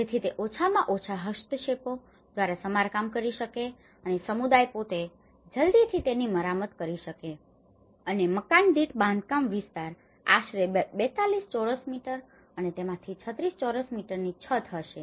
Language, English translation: Gujarati, So that it could be repaired by minimal interventions and the community themselves can repair it as quickly as possible and the constructed area per house was about 42 square meter and 36 of which would be roof